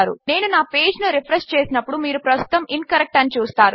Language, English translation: Telugu, When I refresh my page you can see incorrect at the moment